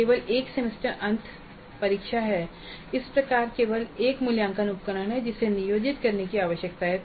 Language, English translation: Hindi, There is only one semester and examination and thus there is only one assessment instrument that needs to plan